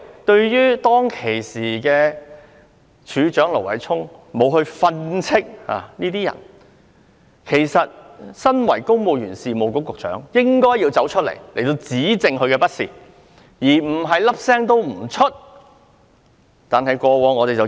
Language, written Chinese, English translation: Cantonese, 當時，警務處處長盧偉聰沒有訓斥這些下屬，但公務員事務局局長理應指斥他們，而不是一聲不吭。, At that time Commissioner of Police Stephen LO had not reprimanded these subordinates . The Secretary for the Civil Service should reprimand them and should not remain silent